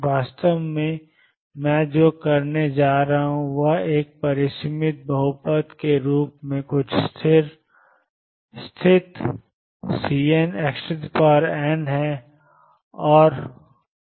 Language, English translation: Hindi, In fact, what I am going to do is a f x as a finite polynomial some constant C n x raised to n and see what happens